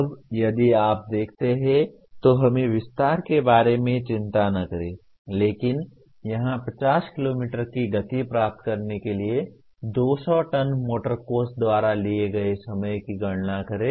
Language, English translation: Hindi, Now if you look at, let us not worry about the detail, but here calculate time taken by 200 ton motor coach to attain the speed of 50 km